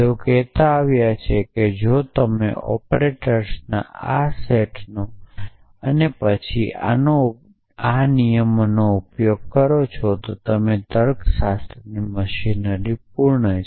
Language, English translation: Gujarati, So, they have been saying if you use this set of operators and this rule of then your logic machinery is complete essentially